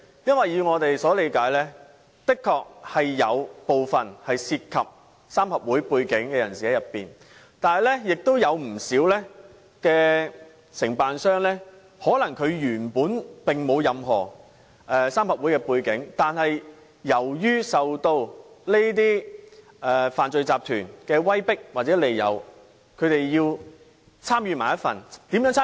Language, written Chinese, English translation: Cantonese, 因為據我們所理解，的確有部分情況涉及三合會背景的人士，但亦有不少承辦商本身可能並沒有任何三合會背景，但由於受到這些犯罪集團的威迫利誘，因而參與其中。, Because as far as I understand it while it is true that triad members were involved in some cases many contractors may not have triad background but were forced or tempted by the crime syndicates to take part in bid - rigging